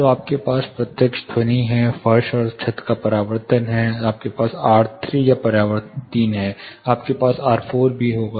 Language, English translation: Hindi, So, this is the direct sound you had the floor and ceiling reflection, then you have this is in plan; you have R3 reflection 3, you will have R4